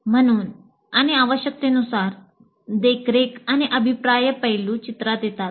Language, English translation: Marathi, As when necessary, the monitoring and feedback aspect comes into the picture